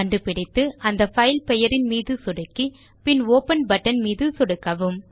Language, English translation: Tamil, Once found, click on the filename And click on the Open button